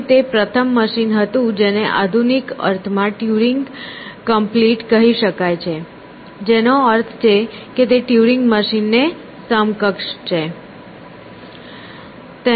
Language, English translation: Gujarati, And, it was the first machine which in the modern sense could be said to be Turingcomplete which means it is equivalent to a Turing machine